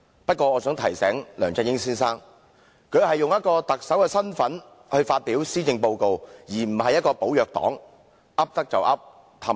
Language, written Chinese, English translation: Cantonese, 不過，我想提醒梁振英先生，他是以特首的身份來發表施政報告，而不是"寶藥黨"般"噏得就噏"，哄騙別人。, But may I remind Mr LEUNG Chun - ying that he came here to deliver the Policy Address in his capacity as Chief Executive . He is not a fraudster selling fake herbs try every deceptive means to deceive people